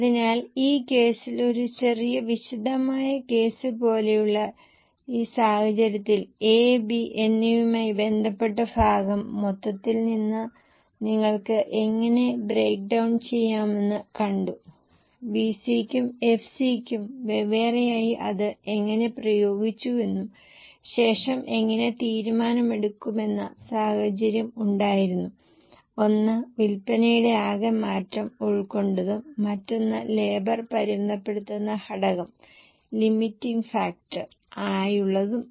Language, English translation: Malayalam, So in this case which like a little detailed case, we have seen how from the total you can break down the portion related to A and B, how separately applied for VC and FC, and then a decision making scenario, one with a total change of sales, other with a limiting factor where labour is a limiting factor